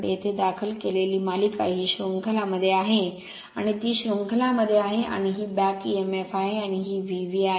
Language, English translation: Marathi, Here series filed is in series with the armature it is in series right and this is your back emf and this is V